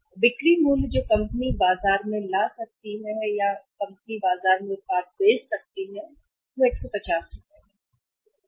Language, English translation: Hindi, And the selling price which the company can fetch from the market or company can sell the product in the market is that is rupees 150 right